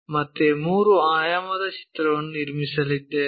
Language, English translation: Kannada, So, again construct our 3 D picture